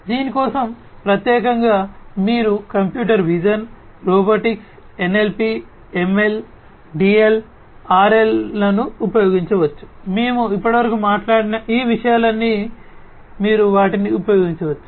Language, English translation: Telugu, So, for this specifically you could use computer vision, robotics, NLP, ML, DL, RL all of these things that we have talked about so far you could use them